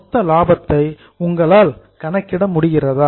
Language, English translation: Tamil, Are you able to calculate the gross profit